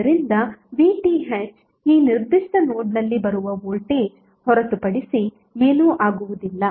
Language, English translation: Kannada, So VTh would be nothing but the voltage which is coming at this particular node